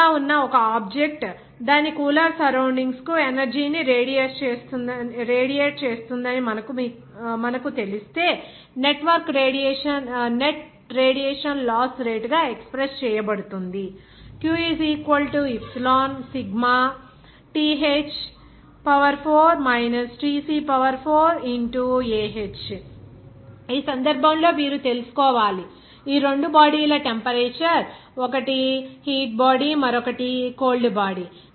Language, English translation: Telugu, If you know an object which is hot will be radiating energy to its cooler surroundings, then the net radiation heat loss rate can be expressed as q = Epsilon Sigma In this case, you have to know the temperature of these two bodies, one is hot body, another is that cold body